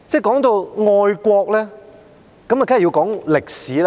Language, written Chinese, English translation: Cantonese, 提到愛國，一定要談到歷史。, Speaking of patriotism we certainly have to talk about history